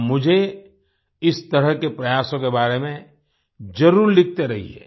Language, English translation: Hindi, You must keep writing me about such efforts